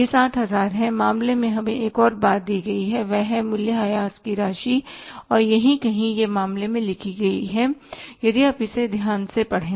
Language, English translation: Hindi, One more thing was given to us in the cases that is the say depreciation amount and here somewhere it is written in the case if you read it carefully